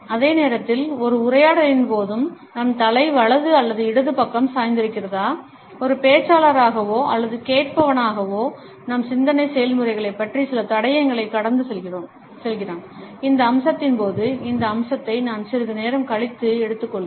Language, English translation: Tamil, At the same time whether our head is tilted towards the right or towards the left during a dialogue, as a speaker or as a listener also passes on certain clues about our thought processes this aspect I would take up slightly later during this module